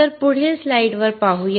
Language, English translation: Marathi, So, let us see the next slide